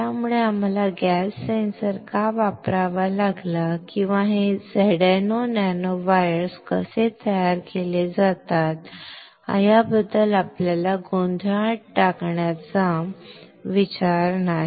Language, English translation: Marathi, So, the idea is not to confuse you with why we had to use gas sensor or how this ZnO nanowires are created we do not care